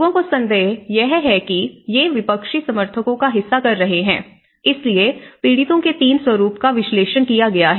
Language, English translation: Hindi, People have suspected that these has been part of the opposition supporters, so that is where 3 patterns of victims have been analyzed